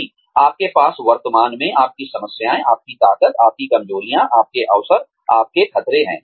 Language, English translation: Hindi, That you have currently, your limitations, your strengths, your weaknesses, your opportunities, your threats